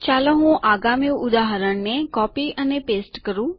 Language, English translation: Gujarati, Let me copy and paste the next example